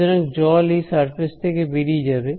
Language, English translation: Bengali, So, there is water that is going out from here